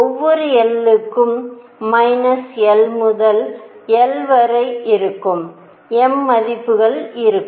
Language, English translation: Tamil, And for each l for each l, I will have m values which are from minus l to l right